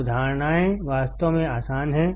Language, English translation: Hindi, Concepts are really easy